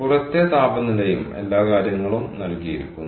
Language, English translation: Malayalam, ok, the outside temperature is given and all that stuff